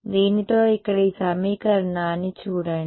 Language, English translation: Telugu, With this over here look at this equation over here